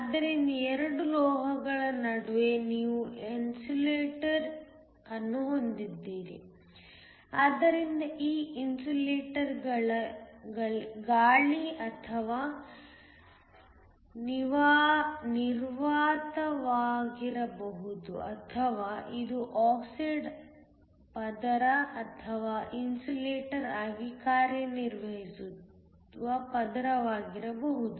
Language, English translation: Kannada, So, Between the 2 metals you have an insulator, so this insulator could be air or vacuum or it could be an oxide layer or some other layer which acts as an insulator